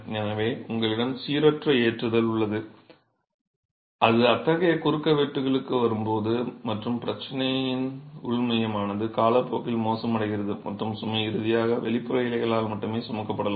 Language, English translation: Tamil, So, you have non uniform loading that will come on to such cross sections and the problem is the inner core over time deteriorates and load may finally be carried only by the exterior leaves